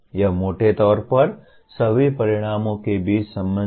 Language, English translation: Hindi, That is broadly the relationship among all the outcomes